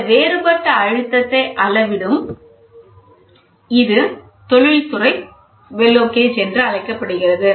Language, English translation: Tamil, So, the differential pressure measurement is called as industrial bellow gauges